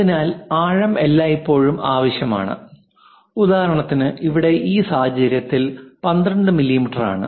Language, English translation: Malayalam, So, depth is always be required for example, here in this case 12 mm